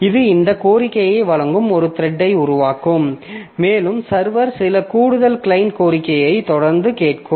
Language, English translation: Tamil, So, it will create a thread that will serve this request and this server will continue listening to some additional client request